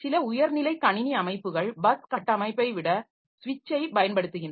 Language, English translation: Tamil, Some high end systems they use switch rather than bus architecture